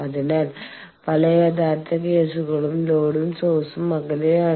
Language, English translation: Malayalam, So, in many real cases the load and source are separate away